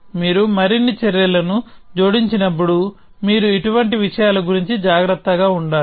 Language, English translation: Telugu, When you add more actions you have to be careful about things like this essentially